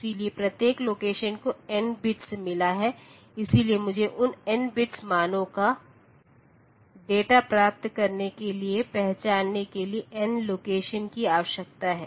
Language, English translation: Hindi, So, each since each location has got n bits, so I need n locations to identify to get the data of those n bits values